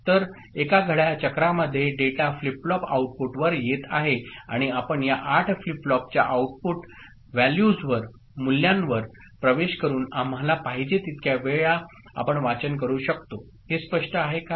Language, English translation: Marathi, So, in one clock cycle the data is coming to the flip flops outputs and reading we can do as many times as we want just by accessing the output values of these flip flops, these 8 flip flops is it clear